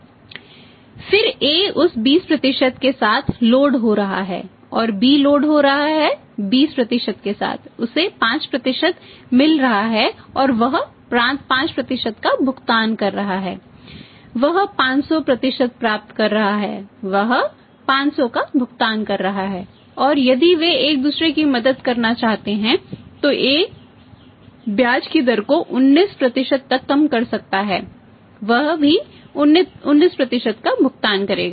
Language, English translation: Hindi, That again AB, A is loading with that 20% and again B is loading with the 20 % he is getting 5% and he is pay 5 min he is getting 500 he is paying 500 or maximum if they want to help each other A could have reduce the rate of interest to 19% he will also be 19%